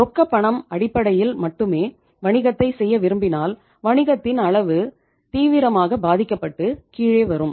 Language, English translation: Tamil, If you want to do the business only on the cash basis the volume of your business will be seriously affected and it will come down